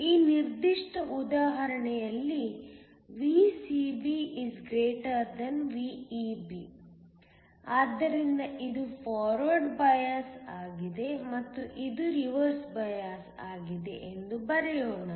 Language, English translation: Kannada, In this particular example, VCB > VEB, so let me just write down this is forward biased and this is reverse biased